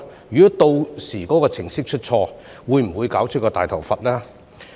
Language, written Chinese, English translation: Cantonese, 如果屆時該程式出錯，會否搞出"大頭佛"呢？, If the computer program goes wrong by then will there be a disaster?